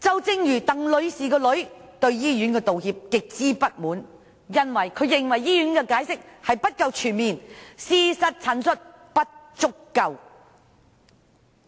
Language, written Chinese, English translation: Cantonese, 正如鄧女士的女兒對醫院所作出的道歉感到極之不滿，因她認為醫院的解釋不夠全面，事實陳述也不足夠。, As in Ms TANGs case her daughter was gravely dissatisfied with the apology made by the hospital because she believed the hospital did not completely explain the incident and sufficiently illustrate the facts